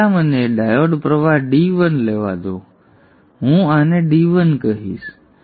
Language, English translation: Gujarati, So first let me take the diode current D1